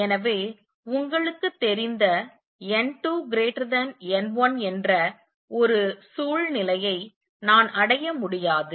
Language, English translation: Tamil, So, I can never achieve a situation where you know n 2 greater than n 1